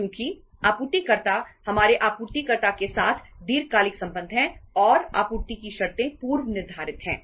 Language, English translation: Hindi, Because suppliers, we have the long term say relationship with the supplier and supply terms are pre decided and supply terms are pre decided